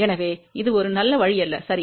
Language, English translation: Tamil, So, this is not at all a good option, ok